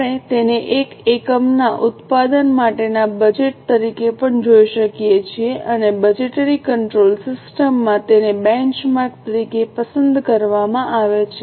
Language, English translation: Gujarati, We can also look at it as a budget for production of one unit and it is chosen as a benchmark in the budgetary control system